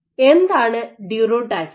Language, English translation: Malayalam, What is durotaxis